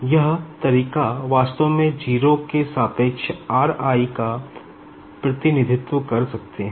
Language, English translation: Hindi, So, this is the way actually we can represent your r i with respect to 0